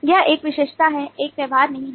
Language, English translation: Hindi, that is, an attribute does not have a behaviour